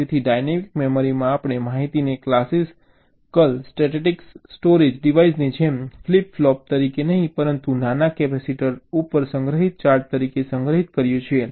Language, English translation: Gujarati, so in a dynamic memory we store the information not as a flip flop as in a classical statics storage device, but as the charge stored on a tiny capacitor